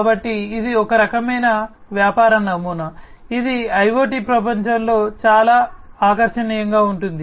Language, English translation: Telugu, So, this is a kind of business model that is very attractive in the IoT world